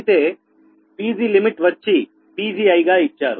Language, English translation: Telugu, and pg limit is given pgi min